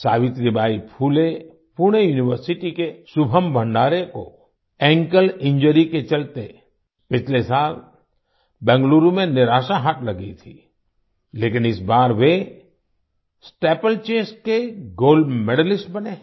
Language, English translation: Hindi, Shubham Bhandare of Savitribai Phule Pune University, who had suffered a disappointment in Bangalore last year due to an ankle injury, has become a Gold Medalist in Steeplechase this time